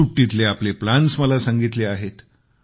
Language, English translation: Marathi, They have shared their vacation plans